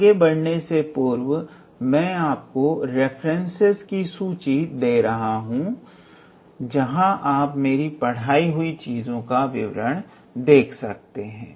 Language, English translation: Hindi, Before I proceed any further I have provided you a list of references, we can where you can look into for the details the things which I am teaching